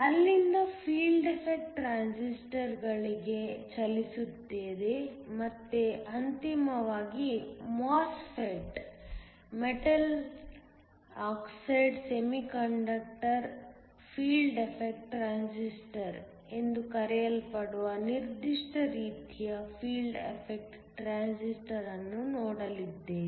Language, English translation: Kannada, From there will move on to Field effect transistors and then finally a specific type of field affect transistor called a MOSFET, Metal Oxide Semiconductor Field Effect Transistor